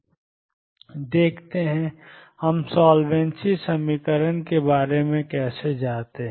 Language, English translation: Hindi, Let us see; how do we go about solvency equation